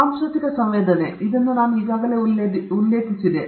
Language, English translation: Kannada, Cultural sensitivity, I already mentioned this